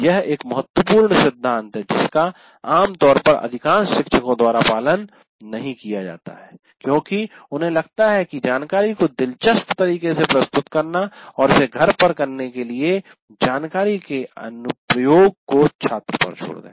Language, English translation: Hindi, This is a major principle normally not followed by majority of the teachers because you feel that presenting information in an interesting way or do that and leave that application of information to the student to do it at home and that is the one that doesn't work satisfactorily